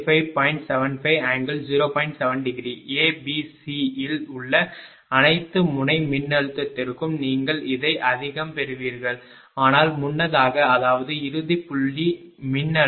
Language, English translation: Tamil, 7 degree volt right, to all the all the node voltage at A, B, C, you will get this much, but earlier; that means, end point voltage what 225